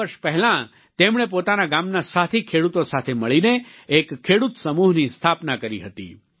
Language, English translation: Gujarati, Four years ago, he, along with fellow farmers of his village, formed a Farmer Producer's Organization